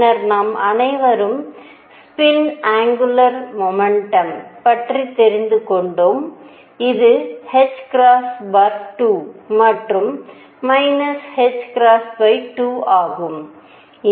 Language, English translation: Tamil, And then we all have also learned that there is spin angular momentum, which is h cross by 2 and minus h cross by 2